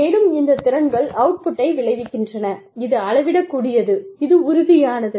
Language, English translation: Tamil, And, these skills, in turn, result in output, which is measurable, which is tangible